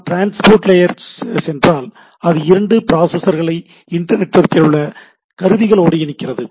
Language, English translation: Tamil, If we go to the transport it connects two processes into machines in the internetwork